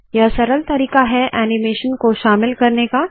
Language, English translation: Hindi, This is simpler way to include animation